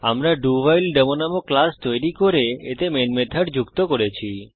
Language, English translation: Bengali, We have created a class DoWhileDemo and added the main method to it